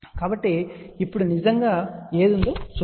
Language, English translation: Telugu, So, let just look at what is really there now